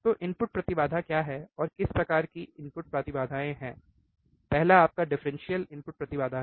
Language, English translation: Hindi, So, what is input impedance and what kind of input impedance are there, first one is your differential input impedance